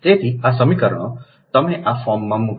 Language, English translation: Gujarati, what you do this equation